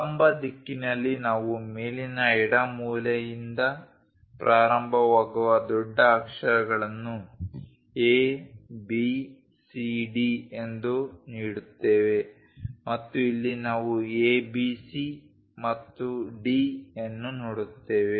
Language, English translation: Kannada, In the vertical direction we give capital letters A B C D starting with top left corner and here also we see A B C and D